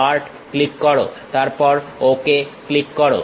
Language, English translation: Bengali, Click Part, then click Ok